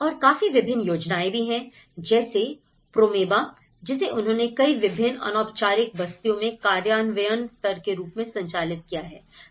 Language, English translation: Hindi, And there are also various schemes and programmes like Promeba is one of the program and they have also conducted this as implementation level in various informal settlements